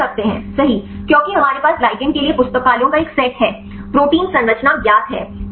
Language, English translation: Hindi, We can do right because we have a set of libraries for the ligands, protein structure is known